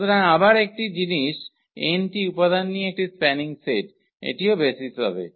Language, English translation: Bengali, So, again the same thing spanning set with n elements so, that will be also the basis